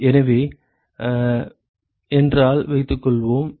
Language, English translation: Tamil, So, therefore, suppose if